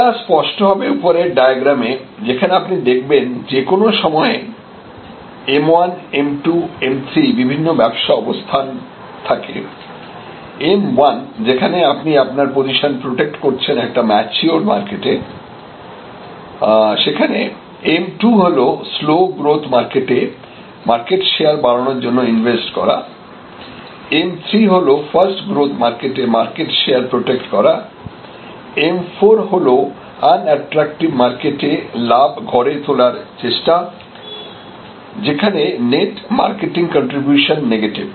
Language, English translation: Bengali, From this next diagram, that if you see at any movement of time you may have M1, M2, M3 this is where you are trying to protect your high share position in a mature market M2 is invest to grow market share in a slow growth market M3 is protect market share in a fast growth market M4 is harvesting share in a unattractive market, so this as a negative net marketing contribution and which means that these which are very dependent on retention relationship marketing base strategy are very important, so that this impact is negated